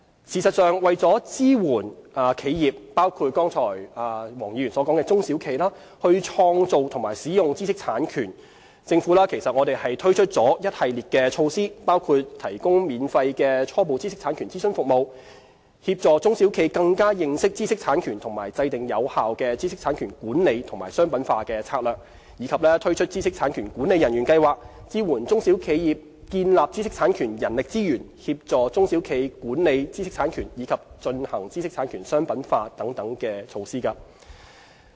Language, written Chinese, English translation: Cantonese, 事實上，為了支援企業，包括剛才黃議員所說的中小企，創造和使用知識產權，政府推出了一系列措施，包括提供免費初步知識產權諮詢服務，協助中小企更加認識知識產權和制訂有效的知識產權管理與商品化策略，以及推出知識產權管理人員計劃，支援中小企業建立知識產權人力資源、協助中小企管理知識產權，以及進行知識產權商品化等措施。, The Government has indeed put in place a number of measures to support the creation and use of IP by enterprises including small and medium enterprises SMEs which Mr WONG has referred to . The measures include providing free initial IP consultation service for SMEs to raise their IP awareness and assist them in developing effective IP management and commercialization strategies . We have also launched an IP Manager Scheme to help SMEs build up their IP manpower capacity and assist them in managing and commercializing their IP assets